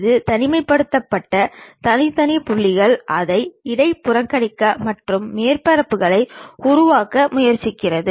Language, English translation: Tamil, It picks isolated discrete points try to interpolate it and construct surfaces